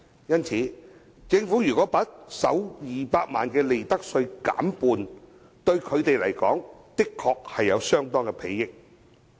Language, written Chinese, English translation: Cantonese, 因此，政府把首200萬元利潤的利得稅減半，對他們確實有相當裨益。, Hence the lowering of the profits tax rate for the first 2 million of profits will benefit them greatly